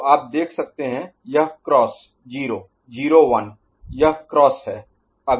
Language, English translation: Hindi, So, you can see this is X; 0 0 1, this is X